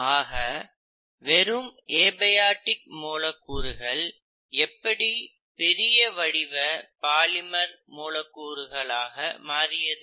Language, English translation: Tamil, So how is it that these abiotic molecules eventually went on to polymerize and form higher order molecules